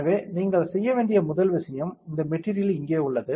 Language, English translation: Tamil, So, first thing that you have to go is material this material is here